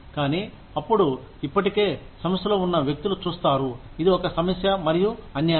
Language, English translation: Telugu, But, then people see, people who are already in the organization, see this as a problem, and unfair